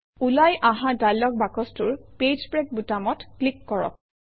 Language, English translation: Assamese, In the dialog box which appears, click on the Page break button